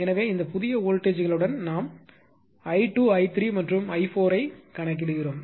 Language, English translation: Tamil, So, with this new voltages right we calculate i 2, i 3 and i 4